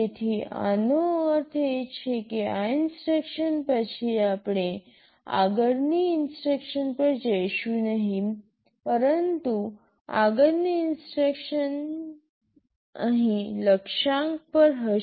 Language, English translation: Gujarati, SoIt means after this instruction we shall not go to the next instruction, but rather next instruction will be here at Target